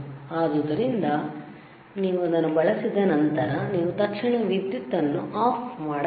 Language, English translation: Kannada, So, after you use it, right after you use it ok, you should immediately switch off the power